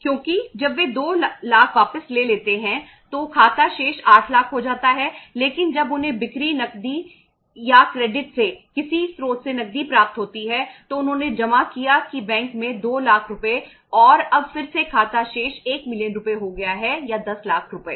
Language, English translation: Hindi, Because when they withdrew 2 lakhs account balance has gone down to 8 lakhs but when they received cash from some source, from sale, cash or credit then they deposited that 2 lakh rupees in the bank and now again the account balance has become 1 million rupees or the 10 lakh rupees